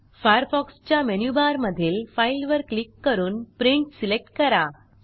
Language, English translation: Marathi, From the Firefox menu bar, click File and select Print